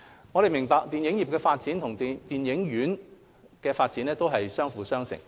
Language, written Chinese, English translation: Cantonese, 我們明白，電影業發展與電影院發展相輔相成。, We understand that the development of cinemas and the development of the film industry complement each other